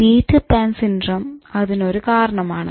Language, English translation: Malayalam, So that is considered to be Peter Pan's syndrome